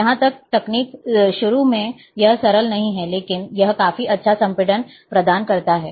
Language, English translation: Hindi, Here, this technique, initially, it is not simple, but it provides quite good compression